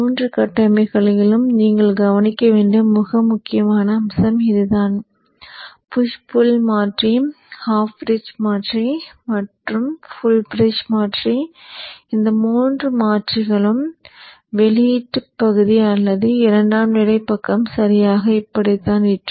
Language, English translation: Tamil, This is a very key point which you have to note in all the three topologies which is the push pull converter, the half bridge converter and the full bridge converter where in all these three converters the output side or the secondary side is exactly like this, exactly similar